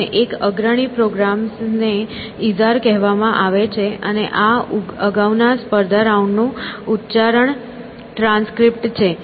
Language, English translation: Gujarati, And, this one of the leading programs is called Izar and this is a pronunciation transcript from the earlier competition rounds